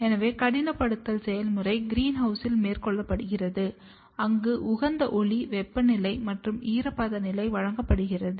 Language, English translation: Tamil, So, the process of hardening is carried out in the greenhouse where we provide the optimal light, temperature and humidity condition